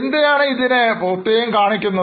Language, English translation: Malayalam, Now, why these items are shown separately